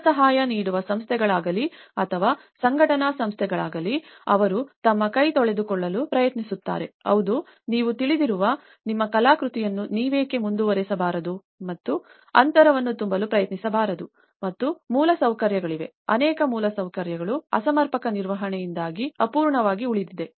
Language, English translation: Kannada, Either the funding institutions or the organizing institutions, they try to wash away their hands that yes, why donít you guys carry on with your artwork you know and try to fill the gap and also there has been infrastructure, many of the infrastructures has remained unfinished because there has been mismanagement